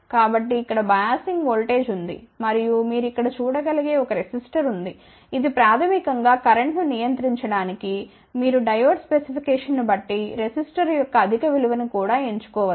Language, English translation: Telugu, So, here is the biasing voltage and there is a resistor you can see over here, which is basically to control the current, you can choose higher value of resistor also depending upon the Diode specification